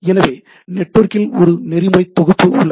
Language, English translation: Tamil, So, network also have a set of protocols